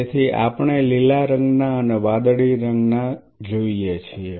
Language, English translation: Gujarati, So, we see green colored blue colored